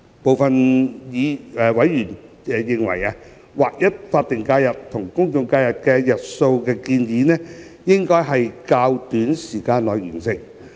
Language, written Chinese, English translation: Cantonese, 部分委員認為，劃一法定假日與公眾假期日數的建議，應在較短時間內完成。, Some members were of the view that the alignment of the number of SHs with GHs should be achieved within a shorter time